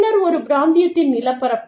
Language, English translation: Tamil, Then, the topography of a region